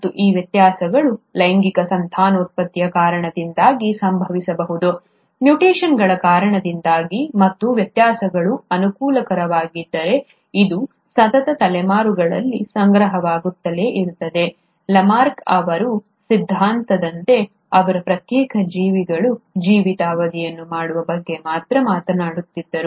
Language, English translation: Kannada, And these variations may either happen because of sexual reproduction, because of mutations and if the variations are favourable, it’ll keep on getting accumulated over successive generations, unlike Lamarck’s theory where he was only talking about doing the lifetime of a individual organism